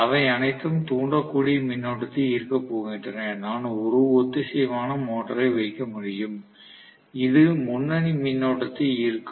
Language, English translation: Tamil, They are all going to draw inductive current; I can put one synchronous motor, which will probably draw leading current